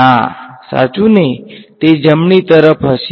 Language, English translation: Gujarati, No right, it will be to the right